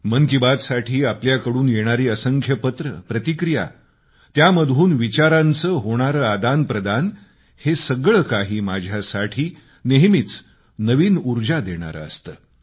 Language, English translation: Marathi, Your steady stream of letters to 'Mann Ki Baat', your comments, this exchange between minds always infuses new energy in me